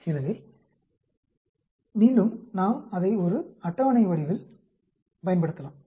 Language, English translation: Tamil, So again, we can use it in the form of a table